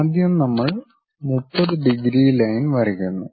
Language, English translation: Malayalam, First we draw 30 degrees line